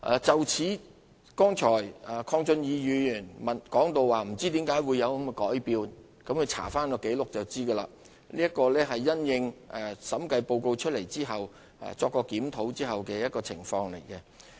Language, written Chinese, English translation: Cantonese, 就此，剛才鄺俊宇議員表示不知為何有此改變，鄺議員翻查紀錄就能了解，這是因應審計報告提出批評後經檢討的方案。, In this connection Mr KWONG Chun - yu just now doubted about the revision . But if Mr KWONG has checked the records he would understand that the revised proposal was made in the light of the criticisms raised in the Audit Report